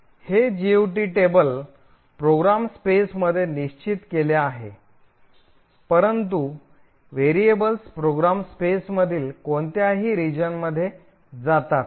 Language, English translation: Marathi, This GOT table is fixed in the program space, but the variables move into any region in the program space